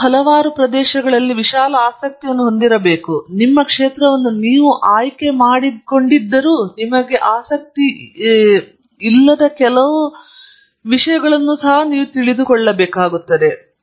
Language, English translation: Kannada, Then you must have a broad interest in several areas, I must say a lot of you although you have chosen your field still don’t know where your interest is